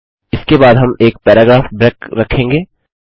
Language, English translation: Hindi, We will put a paragraph break after that